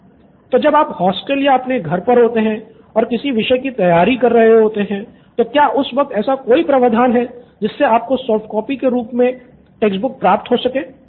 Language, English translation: Hindi, When you are at hostel or at home while you preparing a subject, is there a provision for you to have a textbook, soft copy or anything